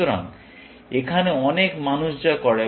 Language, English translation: Bengali, So, here is what many people do